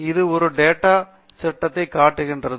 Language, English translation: Tamil, It shows that is a data frame